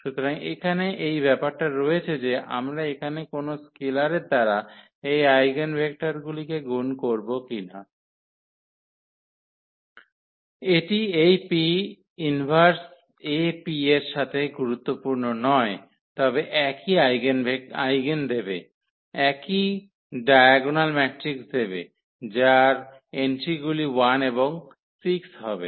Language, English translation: Bengali, So, here it is material that whether we multiply here to these eigenvectors by some scalars; it does not matter with this P inverse AP will lead to the same eigen, same diagonal matrix whose entries will be 1 and 6